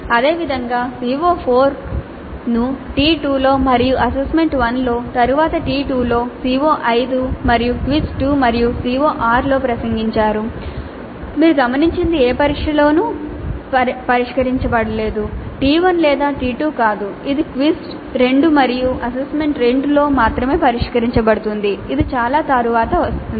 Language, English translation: Telugu, It is addressed only in quiz 2 and CO6 you notice is not addressed in any of the tests at all neither T1 not T2 it is addressed only in quiz 2 and assignment 2 which come much later